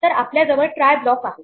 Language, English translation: Marathi, So, what we have is try block